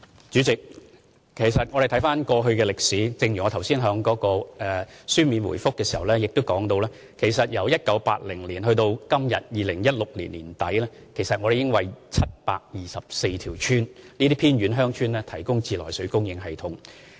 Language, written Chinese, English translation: Cantonese, 主席，回看歷史，正如我剛才在主體答覆中亦提到，其實由1980年至2016年年底，我們已為724條偏遠鄉村提供自來水供應系統。, President reviewing the history just as I have pointed out in my main reply from 1980 to the end of 2016 we provided treated water supply to 724 remote villages